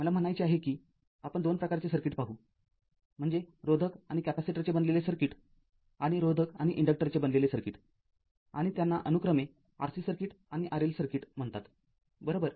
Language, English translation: Marathi, I mean we will see the 2 types of circuits that is a circuit comprising a resistor and capacitor and we will see a circuit comprising a resistor and inductor and these are called R C circuit and R L circuit with respectively right